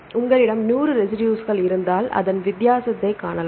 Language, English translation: Tamil, In the sequence, if you have the 100 the residues you can see the difference